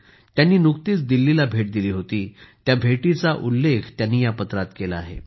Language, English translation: Marathi, In this letter, she has mentioned about her recent visit to Delhi